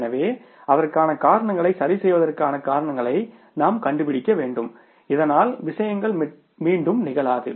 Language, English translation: Tamil, So we will have to find out the reasons for that, fix up the reasons for that so that these things do not hucker again